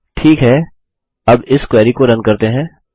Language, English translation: Hindi, Thats it, let us run this query now